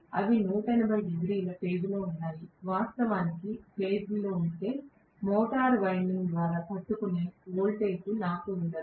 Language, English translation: Telugu, They are 180 degree out of phase, if they are actually in phase roughly, then I will not have so much of voltage being withstood by the motor winding